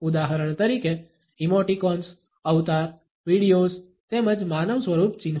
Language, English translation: Gujarati, For example: the emoticons, the avatars, the videos as well as the anthropomorphic icons